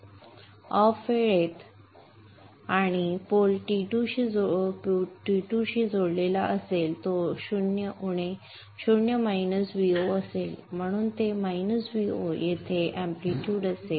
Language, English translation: Marathi, During the time when the pole is connected to T2 it will be 0 minus V 0 so it will be minus V 0 here